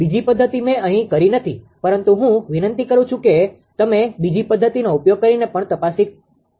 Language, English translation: Gujarati, Second method I have not done it here, but I request you you can check also using the second method